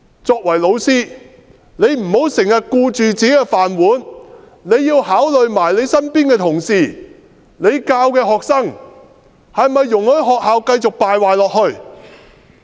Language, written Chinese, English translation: Cantonese, 作為老師，不要經常只顧自己的"飯碗"，也要考慮身邊的同事和教授的學生，是否容許學校繼續敗壞下去？, As teachers they should not customarily care only about their jobs . They should also consider their colleagues around them and the students whom they teach and decide whether they should allow the school to become more and more corrupt